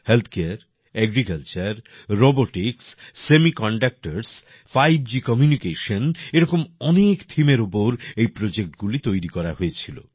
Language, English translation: Bengali, Healthcare, Agriculture, Robotics, Semiconductors, 5G Communications, these projects were made on many such themes